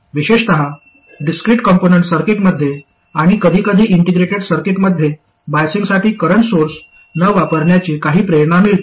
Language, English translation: Marathi, Especially in discrete component circuits, and sometimes in integrated circuits, there is some motivation to not use a current source like this for biasing